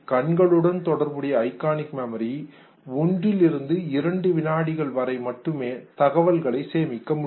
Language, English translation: Tamil, Now, iconic memory that has to do with the eyes can hold information for up to 1 to 2 seconds